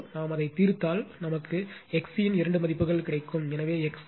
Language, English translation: Tamil, If we solve it, right you will get two values of X C one is so X C is equal to 8